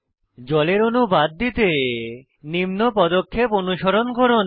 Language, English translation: Bengali, To hide the water molecules, follow the steps as shown